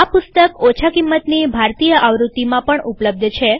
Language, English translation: Gujarati, This book is available in a low cost Indian edition as well